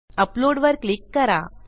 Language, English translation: Marathi, Click file upload